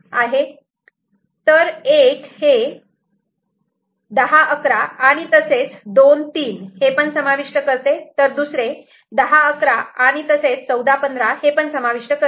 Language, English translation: Marathi, So, one is covering 10, 11 as well as 2, 3; another is covering 10, 11 as well as 14, 15, so we can take either of them ok